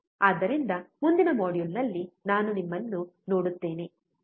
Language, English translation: Kannada, So, I will see you in the next module, take care